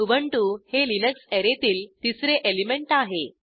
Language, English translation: Marathi, The 3rd element of Array Linux is Ubuntu